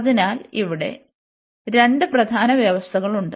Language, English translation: Malayalam, So, in that case so these are the two main conditions here